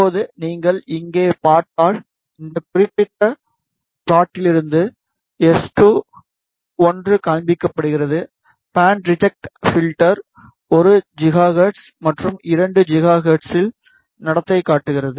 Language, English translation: Tamil, Now, if you see here, you can seen from this particular plot is S2, 1 is showing, band reject behavior at 1 gigahertz, and at 2 gigahertz